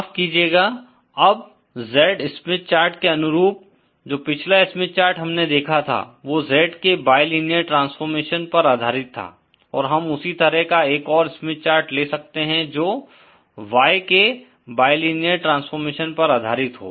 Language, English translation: Hindi, Excuse me, now analogous to the Z Smith chartÉ The previous Smith charts that we considered were based on the bilinear transformation of Z and we can have a similar Smith chart based on the bilinear transformation of Y